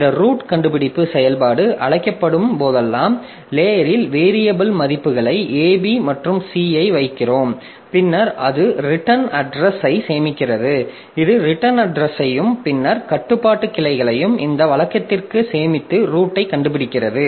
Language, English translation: Tamil, So, whenever this fine root function is called, so in the in the stack we put the variable values A, B and C and then it also saves the return address, okay, it also saves the return address and then the control branches to this routine